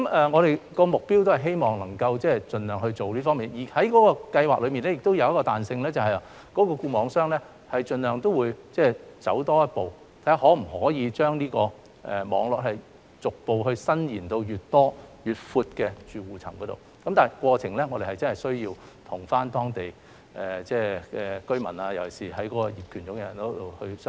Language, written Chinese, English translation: Cantonese, 我們的目標是希望能夠盡量做到這方面的工作，而資助計劃亦有一些彈性，即固網商會盡量走多一步，看看是否可以將網絡逐步延伸至越多、越闊的住戶層面，但我們真的需要與當地居民團體——尤其是業權擁有人——商討。, We aim to have our target attained as far as possible . This Subsidy Scheme also offers a certain degree of flexibility as FNOs may take an extra step to gradually extend their networks to as many households as possible but we really need to negotiate with local resident groups―especially the relevant owners